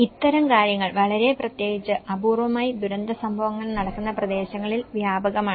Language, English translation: Malayalam, And these kinds of things are very especially, prevalent in the localities where there are infrequent disaster events